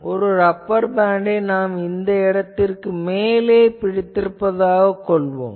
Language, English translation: Tamil, Consider that you have a rubber band and you are holding it above some place